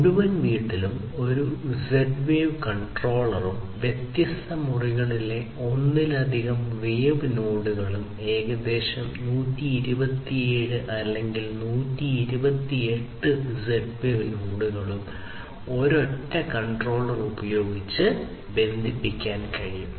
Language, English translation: Malayalam, So, you have one Z wave controller, you have one Z wave controller in the entire home and then you have multiple such Z wave nodes in the different rooms, and we have seen that up to about 127 or 128 Z wave nodes can be connected using a single controller